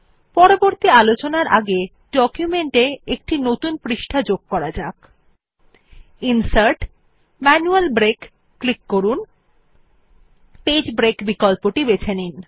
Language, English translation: Bengali, Before proceeding further, let us add a new page to our document by clicking Insert Manual Break and choosing the Page break option